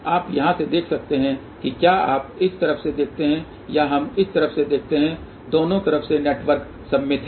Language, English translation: Hindi, You can see from here if you look from this side or we look from this side network is symmetrical from both the sides